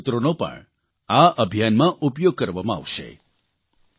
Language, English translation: Gujarati, Good slogans from you too will be used in this campaign